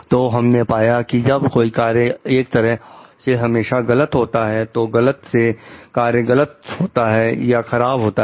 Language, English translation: Hindi, So, what we find is that, when the act is of the sort that is always wrong, the wrong the act is wrong or bad